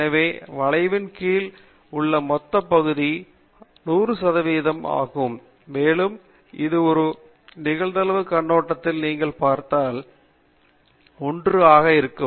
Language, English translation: Tamil, So, that the total area under the curve is 100 percent, and if you look at it from a probability point of view, it would be 1